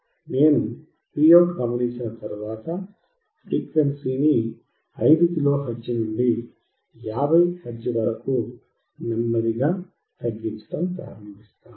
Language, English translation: Telugu, Once I observe the Vout, I will start decreasing the frequency slowly from 5 kilohertz to 50 hertz